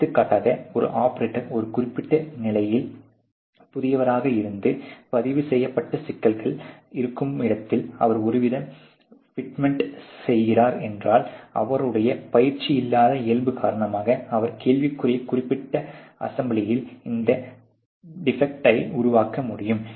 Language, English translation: Tamil, For example, if in operator is a new on a particular station and he is doing some kind of a fitment where there is a recorded problem, because of his untrained nature he may be able to create this defect in the particular assembly in question